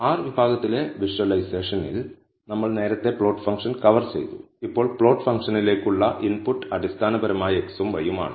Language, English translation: Malayalam, We have covered the plot function earlier in the visualization in r section, now the input to the plot function are basically x and y